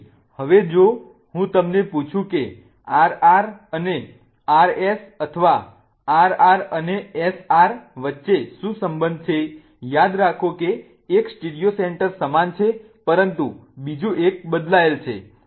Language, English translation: Gujarati, So, now if I ask you what is the relationship between RR and R S or RR and S are, remember one of the stereo center is the same but the other one is changed, right